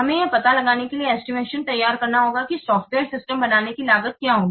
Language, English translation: Hindi, So estimates are made to discover the cost of producing a software system